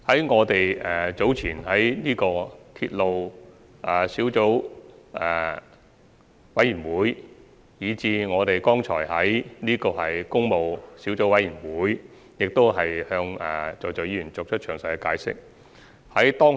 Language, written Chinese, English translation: Cantonese, 我們在早前的鐵路事宜小組委員會會議，以至剛才的工務小組委員會會議上，均已向各位議員作詳細解釋。, We have given a detailed explanation to Honourable Members during the meeting of the Subcommittee on Matters Relating to Railways which was held at an earlier time as well as the meeting of the Public Works Subcommittee held just now